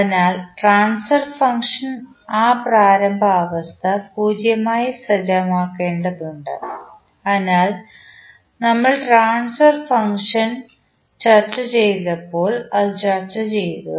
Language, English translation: Malayalam, So, by definition the transfer function requires that initial condition to be said to 0, so this is what we have discussed when we discussed the transfer function in the previous lectures